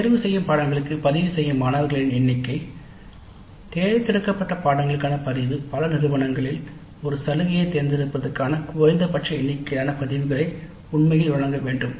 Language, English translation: Tamil, Then the number of students who register for the elective courses, the registrants for the elective courses, many institutes stipulate a minimum number of registrants for an offered elective for it to be actually delivered